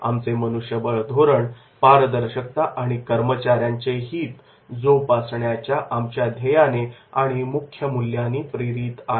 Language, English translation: Marathi, Our HR policy is driven by our vision and core values of promoting transparency and voice of our employees